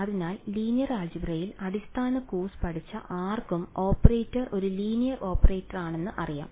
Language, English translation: Malayalam, So, anyone who has taken a basic course in linear algebra knows that the operator is a linear operator